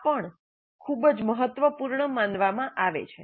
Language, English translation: Gujarati, This also considered as very important